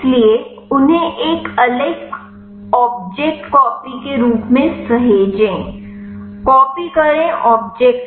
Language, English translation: Hindi, So, save them as an a separate object copy to object